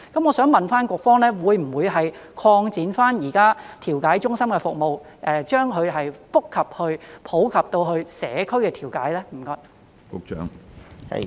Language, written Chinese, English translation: Cantonese, 我想問局方，會不會擴展現在調解中心的服務，以覆蓋社區的調解呢？, May I ask the Bureau whether it will expand the services of the mediation centre to cover community mediation?